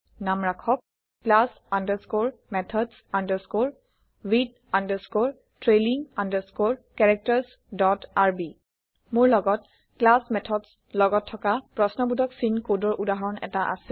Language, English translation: Assamese, And name it class underscore methods underscore with underscore trailing underscore characters dot rb I have a working example of class methods with question mark code